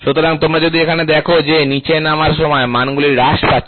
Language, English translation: Bengali, So, if you see here the values are decreasing when you move down